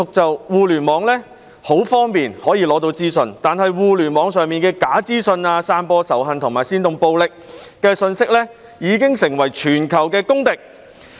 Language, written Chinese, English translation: Cantonese, 在互聯網上獲得資訊是很方便的，但互聯網上的假資訊、散播仇恨和煽動暴力的信息已經成為全球的公敵。, It is very convenient to obtain information on the Internet but false information and messages spreading hatred and inciting violence on the Internet have become a public enemy of the world